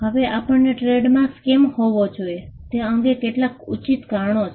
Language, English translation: Gujarati, Now, there are some justifications as to why we should have trademarks